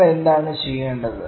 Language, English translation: Malayalam, What we need to do